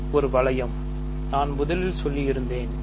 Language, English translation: Tamil, So, this is a ring rather I should say first